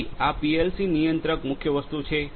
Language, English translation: Gujarati, So, this is the main thing the PLC controller